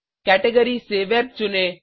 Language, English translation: Hindi, From the Categories, choose Web